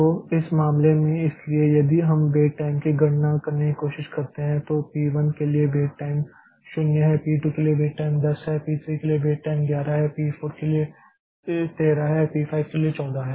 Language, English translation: Hindi, So, so, in this case, so if we try to calculate the weight times then for p1 the weight time is 0, for p2 weight time is 10, for p 3 it is 11, p 4 is 13, p 4 is 14